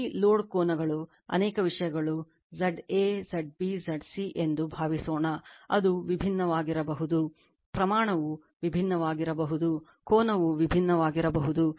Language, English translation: Kannada, Suppose, this load suppose is the angles are many thing Z a, Z b, Z c, it may be different right, magnitude may be different, angle may be different